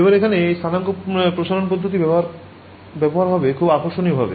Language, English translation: Bengali, Now here itself is where the coordinate stretching approach presents a very interesting way